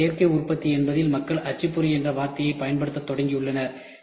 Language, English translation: Tamil, So, additive manufacturing means people have started using the word printer